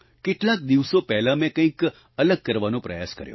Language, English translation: Gujarati, A few days ago I tried to do something different